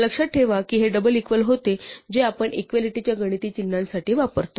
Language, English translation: Marathi, Remember that this double equal to was what we use for the mathematical symbol of equality